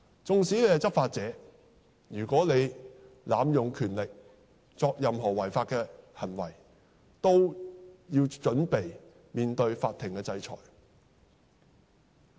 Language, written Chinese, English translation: Cantonese, 縱使是執法者，如果濫用權力，作出任何違法的行為，都要準備面對法庭的制裁。, Even law enforcement officers who abused their powers and committed any illegal acts should likewise be prepared to face punishment meted out by court